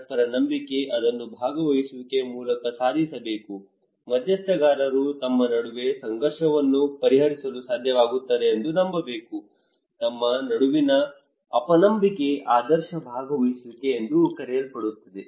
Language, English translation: Kannada, Mutual trust, that should be achieved through participations, stakeholders should believe among themselves they should be able to resolve conflict, distrust among themselves that would called an ideal participations